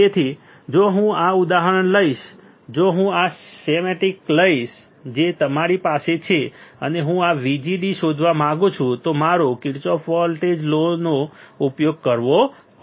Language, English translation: Gujarati, So, if I take this example if I take this schematic, which is right in front of you guys and I want to find this VGD then I had to use a Kirchhoffs voltage law